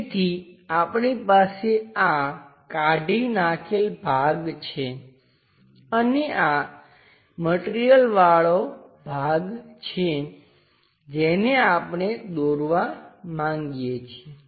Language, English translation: Gujarati, So, we have this removed portion which goes all the way down and this is the material portion we would like to draw it